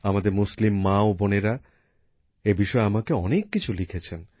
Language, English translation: Bengali, Our Muslim mothers and sisters have written a lot to me about this